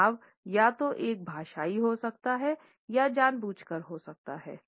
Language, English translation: Hindi, The stress can be either a linguistic one or a deliberate one